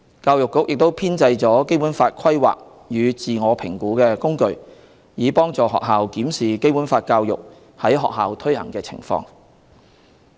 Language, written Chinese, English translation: Cantonese, 教育局亦編製了《基本法》規劃與自我評估工具，以幫助學校檢視《基本法》教育在學校推行的情況。, The Education Bureau has developed the Planning and Self - evaluation Tool for Basic Law Education for schools reference in evaluating the implementation of Basic Law education in schools